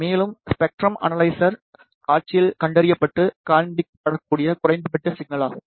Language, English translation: Tamil, And, the minimum signal that can be detected and displayed on to the spectrum analyzer display